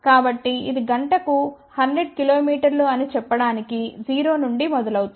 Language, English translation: Telugu, So, which goes from 0 to let us say 100 kilometer per hour in, let us say a few seconds